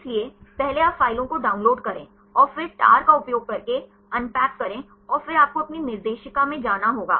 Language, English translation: Hindi, So, first you download the files and then unpack using the tar and then you have to go to your directory